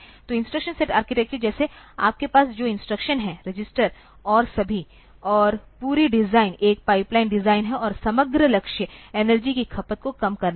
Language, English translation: Hindi, So, instruction set architecture, like the instructions that you have, the registers and all that and the whole design is a pipeline design, and the overall goal is to minimize the energy consumption